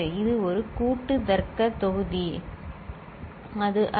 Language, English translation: Tamil, This is, this is a combinatorial logic block is not it